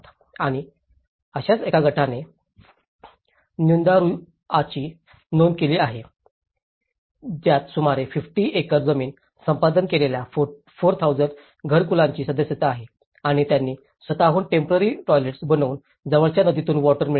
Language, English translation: Marathi, And one such group is Nyandarua registered membership of 4,000 households which has acquired about 50 acres land and they made their own makeshift latrines and obtained water from a nearby river